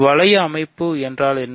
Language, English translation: Tamil, What is a ring structure